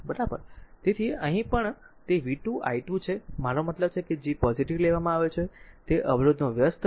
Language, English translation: Gujarati, So, the here also it is v square i square, here I mean G is taken positive it is reciprocal of resistance